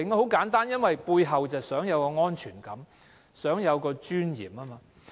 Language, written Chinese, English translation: Cantonese, 很簡單，因為他們想有安全感，想生活有尊嚴。, The reason is simple . Because they want to have a sense of security and live with dignity